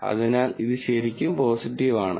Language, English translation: Malayalam, So, this is true positive